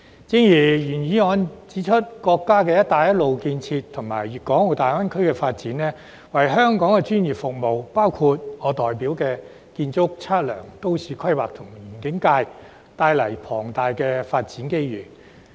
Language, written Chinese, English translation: Cantonese, 正如原議案指出，國家"一帶一路"建設和粵港澳大灣區發展，為香港專業服務業，包括我代表的建築、測量、都市規劃及園境界，帶來龐大的發展機遇。, As he pointed out in the original motion the Belt and Road Initiative and the development of the Guangdong - Hong Kong - Macao Greater Bay Area have brought enormous development opportunities for Hong Kongs professional services including the architectural surveying town planning and landscape sectors represented by me